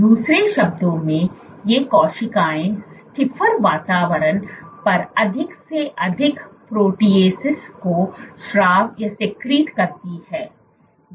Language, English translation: Hindi, In other words these cells secrete more amount of proteases on a stiffer environment